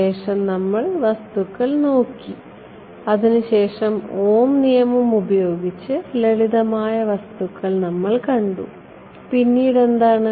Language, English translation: Malayalam, So, we looked at materials, we looked at simple materials which used Ohm’s law right and after that